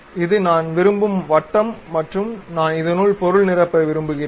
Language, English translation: Tamil, This is the circle what I would like to have and I would like to fill the material